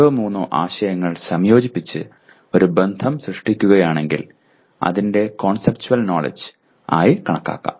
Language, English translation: Malayalam, That means if I combine two or three concepts and create a relationship that is also conceptual knowledge